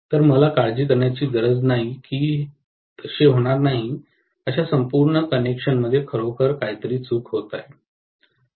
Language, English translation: Marathi, So, I do not have to worry that something is really going wrong with the entire connection that will not happen